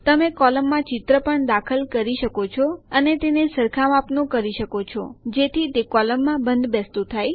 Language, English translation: Gujarati, You can even insert a picture in the column and resize it so that it fits into the column